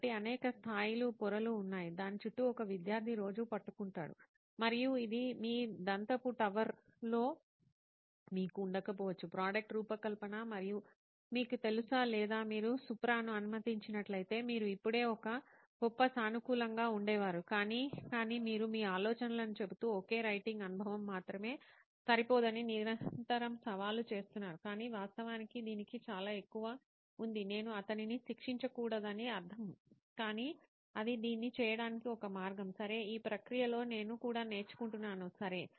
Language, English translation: Telugu, So then there are several levels, layers around which a student is grappling with on a daily basis and this you could not have been in your ivory tower of you know product design and all that or if you let Supra be, you would have just been a great, I am positive, but with you guys supplying the insights is constantly being challenged to say okay writing experience alone is not enough, but actually there is far more to this, I get I mean not to keep punning on him but that is one way to do it, okay nice I am learning as well in this process, okay